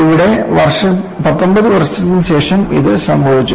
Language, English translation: Malayalam, Here, it has happened after 19 years